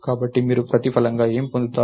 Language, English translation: Telugu, So, what do you get in return